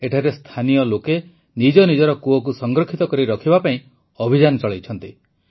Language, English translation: Odia, Here, local people have been running a campaign for the conservation of their wells